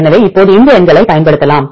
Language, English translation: Tamil, So, now, we can use these numbers